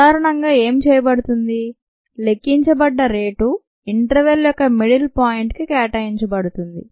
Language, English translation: Telugu, so what is normally done is the rate that is calculated is assigned to the mid point of the interval